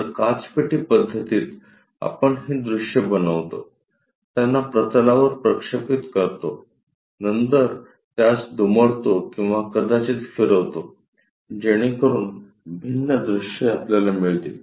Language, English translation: Marathi, So, in glass box method, we construct these views, project it onto the planes, then fold them or perhaps rotate them so that different views, we will get